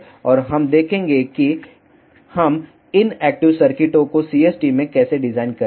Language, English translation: Hindi, And we will see how we will design these active circuits in CST